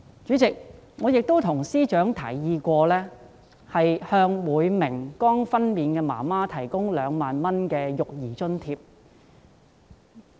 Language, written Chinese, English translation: Cantonese, 主席，我曾經向司長提議，向每名剛分娩的婦女提供2萬元的育兒津貼。, President I have proposed to the Financial Secretary that a childcare allowance of 20,000 should be provided to every woman who has just given birth